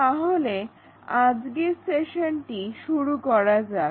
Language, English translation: Bengali, Let us begin our session